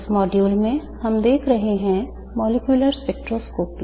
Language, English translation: Hindi, In this module we have been looking at molecular spectroscopy